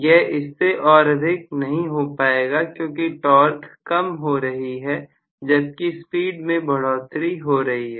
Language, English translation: Hindi, When I decrease the flux, the torque will also decrease although the speed increases